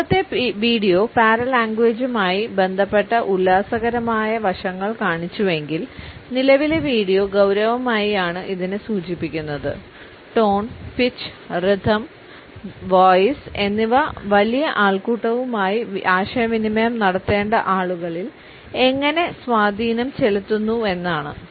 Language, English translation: Malayalam, If the previous video had taken up the hilarious aspects related with paralanguage, the current video in a serious manner suggest how tone, pitch, rhythm, pitch and voice have profound impact on those people who have to communicate with a large audience